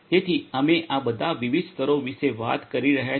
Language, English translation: Gujarati, So, you know we were talking about all these different layers